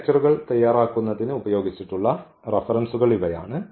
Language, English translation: Malayalam, So, these are the references use for preparing these lectures